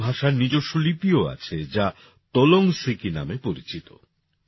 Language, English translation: Bengali, Kudukh language also has its own script, which is known as Tolang Siki